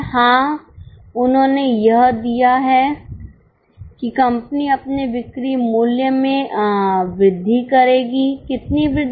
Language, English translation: Hindi, Yes, they have given that company will increase its selling price